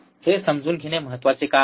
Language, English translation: Marathi, Why important to understand